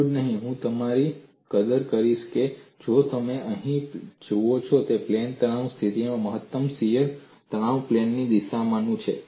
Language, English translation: Gujarati, Not only this, I would appreciate you go and look at what is the orientation of maximum shear stress plane in the case of plane stress situation